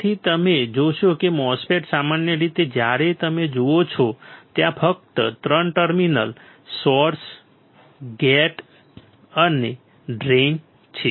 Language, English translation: Gujarati, So, you will see that the MOSFET generally when you see there are only three terminals source, gate and drain right